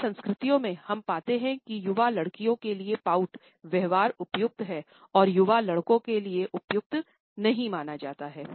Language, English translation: Hindi, In many cultures, we would find that pouting behaviour is considered to be appropriate for young girls and in appropriate for young boys